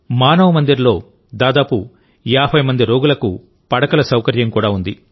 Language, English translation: Telugu, Manav Mandir also has the facility of beds for about 50 patients